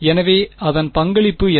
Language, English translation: Tamil, So, what is its contribution